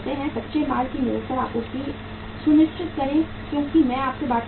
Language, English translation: Hindi, Ensure a continuous supply of raw material as I have been talking to you